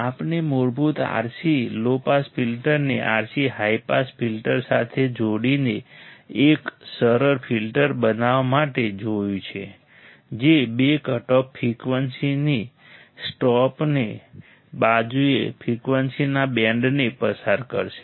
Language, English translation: Gujarati, We have seen a basic R c low pass filter combined with RC high pass filter to form a simple filter that will pass a band of frequencies either side of two cutoff frequencies